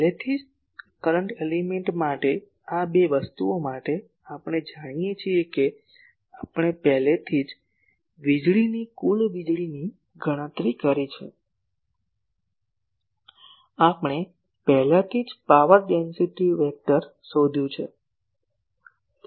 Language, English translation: Gujarati, Already because for current element , this two things , we know we have already calculated the total power radiated we have already found out the power density vector